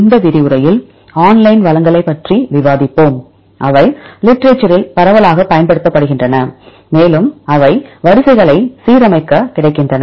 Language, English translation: Tamil, In this lecture we will discuss about the online resources, which are widely used in the literature and which are available for aligning sequences